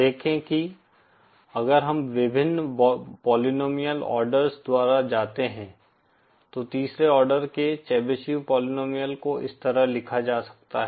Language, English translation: Hindi, See that, if we go by the various polynomial orders the third order Chebyshev polynomial can be written like this